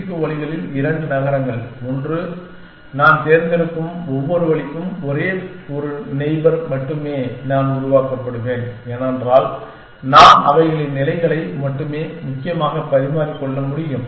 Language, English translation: Tamil, Two cities in n c 2 ways and for each way that I pick, there is only one neighbor I would be generate because, I can only exchange their positions essentially